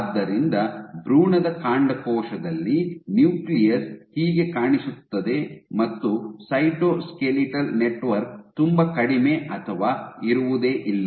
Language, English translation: Kannada, So, of an embryonic stem cell this is what the nucleus will look like, there is very little or no cytoskeletal network